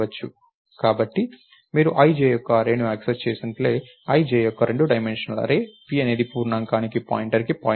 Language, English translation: Telugu, So, just like you would access array of i comma j, two dimensional array of i comma j, p is a pointer to a pointer to an integer